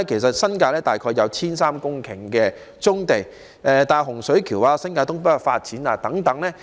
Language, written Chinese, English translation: Cantonese, 新界大概有 1,300 公頃的棕地，例如位於洪水橋、新界東北發展等的棕地。, There are around 1 300 hectares of brownfield sites in the New Territories such as those located in Hung Shui Kiu and North East New Territories